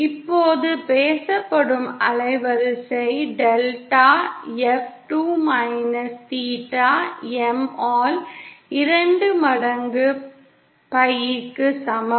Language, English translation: Tamil, Now the spoken band width delta F is equal to twice of pi by 2 minus theta M